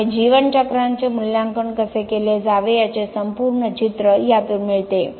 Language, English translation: Marathi, So, this gives the whole picture of how life cycle assessment should be done